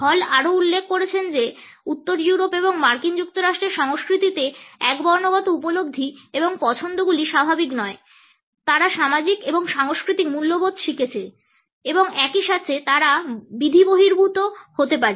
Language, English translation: Bengali, Hall has also pointed out that the monochronic perceptions and preferences in the cultures of Northern Europe and the USA are not natural they are learnt social and cultural values and at the same time they happen to be arbitrary